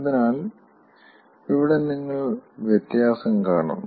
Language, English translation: Malayalam, so here you see the difference